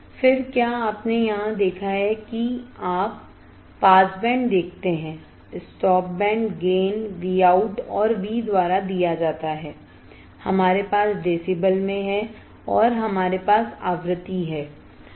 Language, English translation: Hindi, Then have you see here you see pass band, stop band gain is given by V out and V we have in decibels and we have frequency